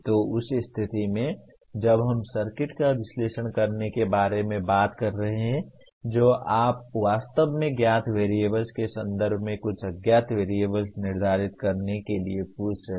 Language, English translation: Hindi, So in that case when we are talking about analyzing the circuit what you really are asking for determine some unknown variable in terms of known variables